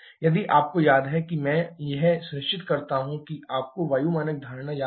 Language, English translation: Hindi, If you remember I ensure that you remember the air standard assumption